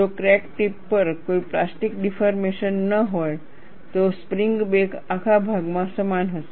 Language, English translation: Gujarati, If there is no plastic deformation at the crack tip, the spring back would be uniform all throughout